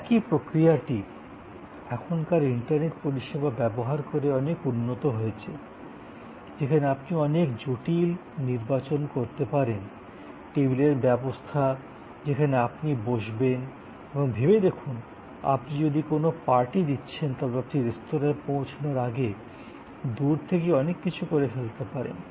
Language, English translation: Bengali, And that same process as now been improved a lot by using of a internet services, where you can do a lot of complicated selection, arrangement of the table where you will sit and think, if you are arranging a party, a lot of that can be now done remotely when before you arrive at the restaurant